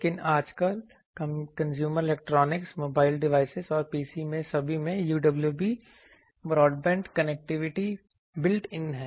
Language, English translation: Hindi, But, nowadays in consumer electronics mobile device devices and PCs all have UWB broadband connectivity built in